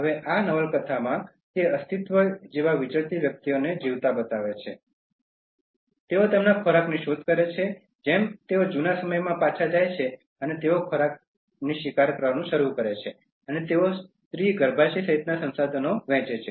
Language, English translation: Gujarati, Now in this novel, it shows people living a nomad like existence, they hunt for their food like they go back to the old times and they start hunting for the food and they share resources including the female womb